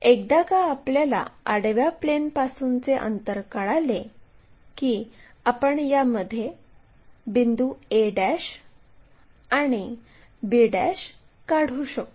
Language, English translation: Marathi, Once we know from the horizontal plane this much length, immediately we will locate a' and b' point there